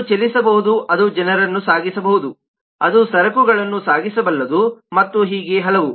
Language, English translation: Kannada, it can move, it can transport people, it can transport goods and so on and so forth